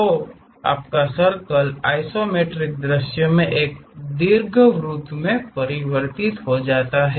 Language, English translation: Hindi, So, your circle converts into ellipse in the isometric view